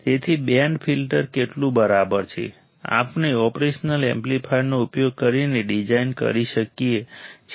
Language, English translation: Gujarati, So, how exactly a band filter is, we can design using operation amplifier let us see it